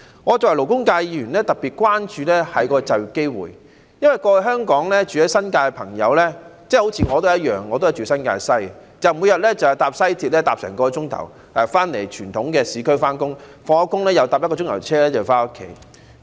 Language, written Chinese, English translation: Cantonese, 我作為勞工界議員，特別關注就業機會，因為過往住在新界的朋友——就像我一樣，我也是住在新界西——每日要花1小時乘坐西鐵到傳統市區上班，下班後又乘1小時車回家。, As a Member of the labour sector I am particularly concerned about employment opportunities because residents in the New Territories―I myself also live in New Territories West―have to spend an hour to commute to the urban areas for work by West Rail and take another hour to go home after work every day